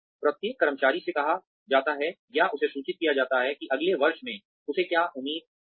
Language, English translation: Hindi, Every employee is asked, or informed as to, what is expected of her or him, in the next year